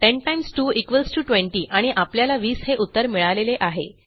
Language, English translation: Marathi, 10 times 2 is 20 and weve got 20